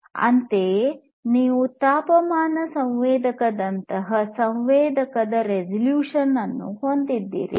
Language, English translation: Kannada, Similarly, you have the resolution of a sensor like a temperature sensor